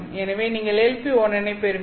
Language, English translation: Tamil, So you get end up with LP 11 mode